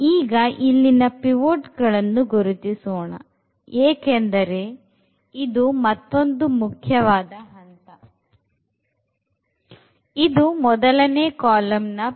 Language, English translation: Kannada, So, let us identify the pivots because that is another important step